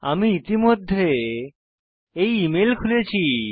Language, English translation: Bengali, I have already opened this email